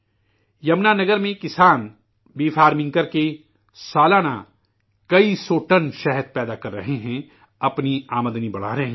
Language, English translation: Urdu, In Yamuna Nagar, farmers are producing several hundred tons of honey annually, enhancing their income by doing bee farming